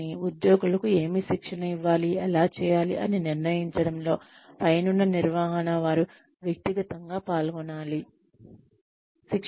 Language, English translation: Telugu, But, the top management has to be personally involved in deciding, what the employees need to be trained in, and how